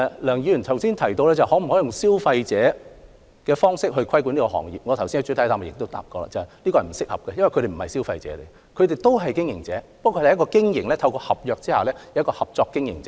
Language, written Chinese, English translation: Cantonese, 梁議員剛才提及能否以保障消費者的方式規管這行業，我剛才在主體答覆也提到，有關做法並不合適，因為特許加盟者並非消費者，他們亦為經營者，不過他們是透過合約合作的經營者。, Dr LEUNG asked whether the franchising - related industry could be regulated in a way similar to providing protection for consumers . As pointed out in my main reply this approach is inappropriate because franchisees are not consumers . They are operators of a business by way of cooperation under a contract